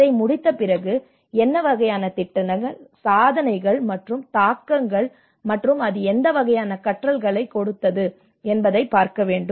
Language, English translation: Tamil, After finishing it, one has to look at what kinds of projects, achievements and the impacts and what kind of learnings it has